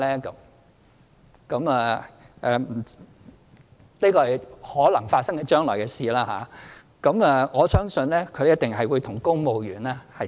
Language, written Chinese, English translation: Cantonese, 這是將來可能發生的事情，我相信一定會與公務員的做法看齊。, This is a possible scenario in the future and I believe she will be treated the same as other civil servants